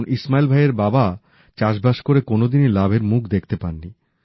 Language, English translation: Bengali, Ismail Bhai's father was into farming, but in that, he often incurred losses